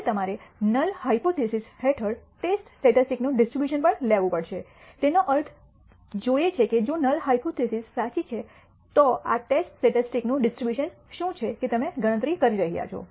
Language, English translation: Gujarati, Now, you also have to derive the distribution of the test statistic under the null hypothesis, what it means is if the null hypothesis is true what is the distribution of this test statistic that you are computed